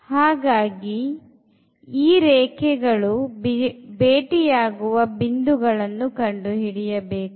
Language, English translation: Kannada, So, first we need to compute these points where these lines are meeting